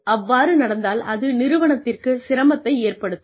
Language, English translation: Tamil, And, that can be detrimental to the organization